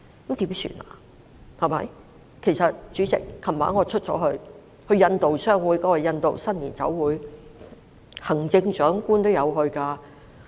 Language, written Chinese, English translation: Cantonese, 主席，我昨晚也有外出，出席香港印度商會的印度新年酒會，行政長官也有出席。, President I went out last night to attend a cocktail reception hosted by the Indian Chamber of Commerce Hong Kong for the Indian New Year which the Chief Executive also attended